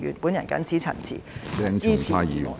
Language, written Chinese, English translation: Cantonese, 我謹此陳辭，支持議案。, With these remarks I support the motion